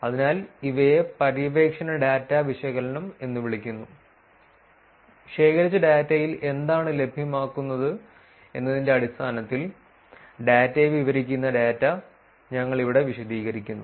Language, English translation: Malayalam, So, these are called exploratory data analysis, here we just explaining the data itself describing the data in terms of what is available in the data that was collected